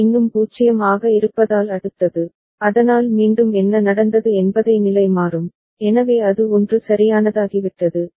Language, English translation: Tamil, Next again since C is still 0, so A will again toggle that is what has happened, so it has become 1 right